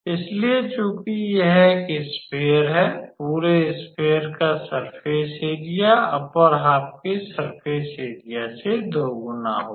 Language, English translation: Hindi, So, since it is a sphere the surface area of the whole sphere be would be twice the surface area of the upper half